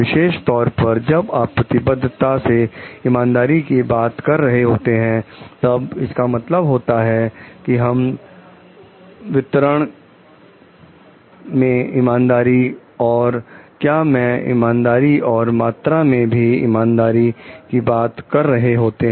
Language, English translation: Hindi, Specifically when you are talking of commitment to fairness means, here we are talking of fairness of distribution and fairness of the process, and its fairness of the amount also